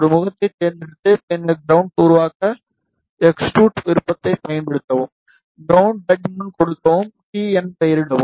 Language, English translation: Tamil, Just select one face, and then use extrude option to make ground, name it as ground give thickness as t